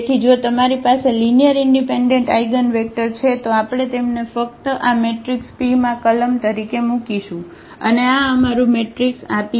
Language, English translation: Gujarati, So, if you have n linearly independent eigenvectors, we will just place them in this matrix P as the columns, and this is our matrix this P